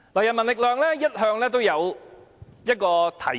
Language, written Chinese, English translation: Cantonese, 人民力量一向有一項提議。, People Power has all along proposed a measure